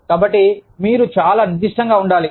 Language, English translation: Telugu, So, you have to be very specific